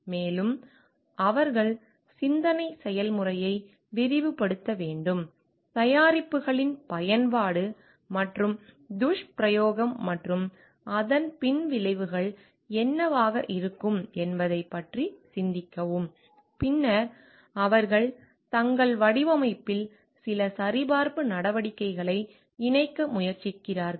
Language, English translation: Tamil, And in a very like they have to broaden the thought process think of all the different alternatives possible of use and misuse of the products and what could be the after effects of that and then they try to incorporate certain check measures in their design